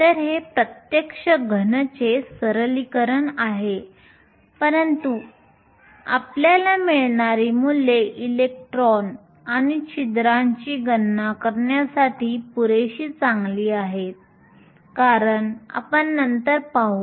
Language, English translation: Marathi, So, this is a simplification of an actual solid, but the values we will get are good enough in order to make calculations for electrons and holes as we will see later